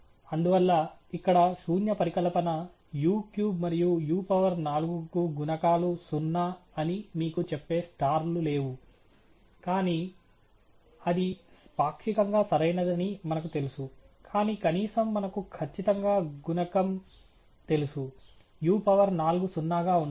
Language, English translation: Telugu, And that’s why there are no stars here telling you that the null hypothesis, that the coefficients on u cube and u to the power four are zero, but we know that that is partially correct, but atleast we know for sure the coefficient on u to the four should be zero